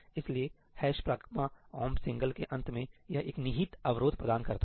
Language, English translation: Hindi, So, at the end of ëhash pragma omp singleí, it provides an implicit barrier